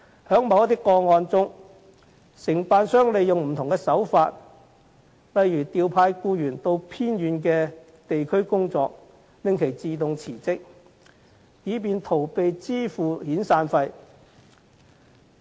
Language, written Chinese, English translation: Cantonese, 在某些個案中，承辦商利用不同手法，例如調派僱員到偏遠地區工作，令其自動辭職，以逃避支付遣散費。, In some cases the contractor has employed various means such as deploying employees to remote areas in order to make employees resign on their own initiative so that they can evade making severance payment